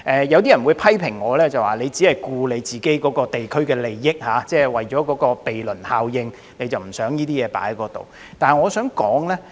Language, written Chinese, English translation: Cantonese, 有些人批評我只顧及自己代表的地區的利益，為了鄰避效應而不想這些東西在有關地區出現。, Some have criticized me for caring only the interests of the district represented by me and adopting a not - in - my - backyard attitude by avoiding unwanted facilities